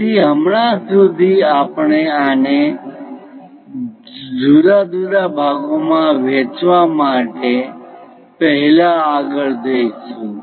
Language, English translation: Gujarati, So, as of now we will go ahead first divide this into different parts